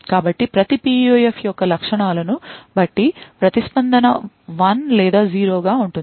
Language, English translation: Telugu, So, depending on the characteristics of each PUF the response would be either 1 or 0